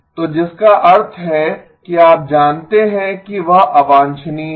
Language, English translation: Hindi, So which means that you know that is undesirable